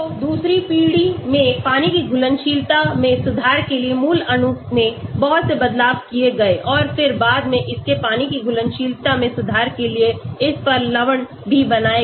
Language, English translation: Hindi, So, in the second generation a lot of changes were done to the parent molecule to improve the water solubility and then later on salts of this was also made to improve its water solubility